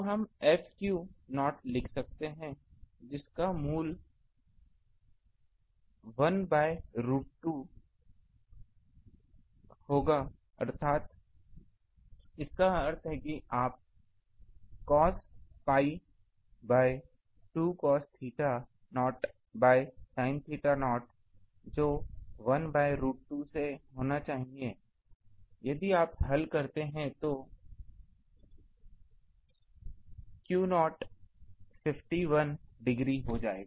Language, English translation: Hindi, So, we can write F theta naught um F of theta naught that will have to be 1 by root 2 that means, you put that cos of pi by 2 cos theta naught by sin theta naught that should be 1 by root 2 so, if you solve for that theta naught become 51 degree